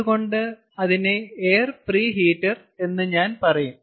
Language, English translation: Malayalam, so i would say air pre heater